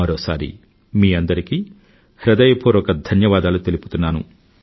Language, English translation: Telugu, Once again, I thank all of you from the core of my heart